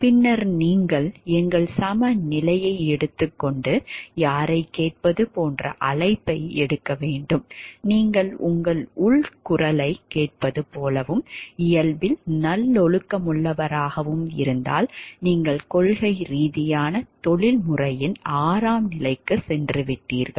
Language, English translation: Tamil, And then you have to take our balance and take a call like whom to listen to if you talk of listening to your like inner voice and be virtuous in nature then you have moved to stage 6 of principled professionalism